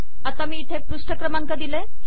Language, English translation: Marathi, And then I have the page number over here